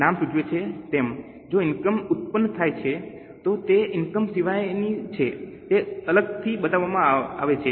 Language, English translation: Gujarati, As the name suggests, it is other than revenue if any income is generated, it is shown separately